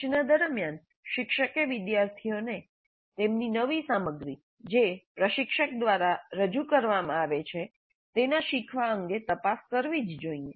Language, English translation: Gujarati, During instruction, teacher must probe the students regarding their learning of the new material that is being presented by the instructor